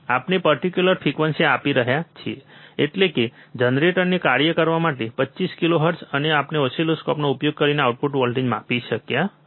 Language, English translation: Gujarati, We are giving a particular frequency; that is, 25 kilohertz to function generator, and we are measuring the output voltage using the oscilloscope